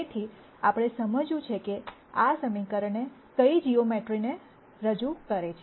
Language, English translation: Gujarati, So, we want to understand what geometry this equation represents